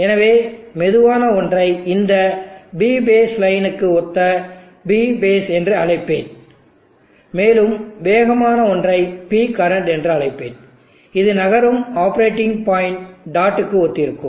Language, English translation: Tamil, So therefore, I will call the slower one as P base which corresponds to this P base line, and I will call the faster one as P current which corresponds to the moving operating point dot